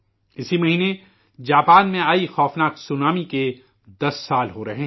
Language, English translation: Urdu, This month it is going to be 10 years since the horrifying tsunami that hit Japan